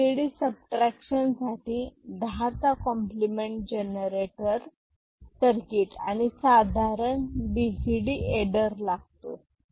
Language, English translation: Marathi, And, BCD subtraction will require 10’s complement generator circuit and normal BCD adder